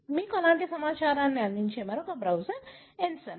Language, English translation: Telugu, Another such browser that gives you that kind of information is Ensembl